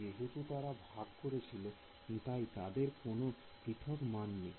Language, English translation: Bengali, So, they shared they do not have a separate value